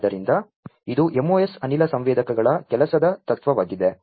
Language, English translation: Kannada, So, this is this MOS gas sensors working principle